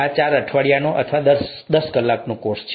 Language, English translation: Gujarati, This is a four week course or a ten hour course